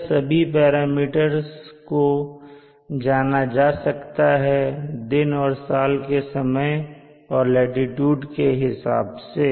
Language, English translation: Hindi, All these parameters are determinable knowing the time of the day, time of the year and the latitude